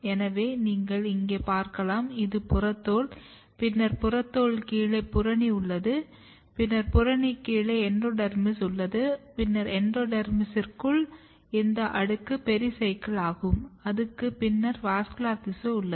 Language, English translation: Tamil, So, you can look here this is epidermis, then below epidermis you have cortex then below cortex you have endodermis, and then below endodermis inside endodermis this layer is called pericycle and then you have the vascular tissue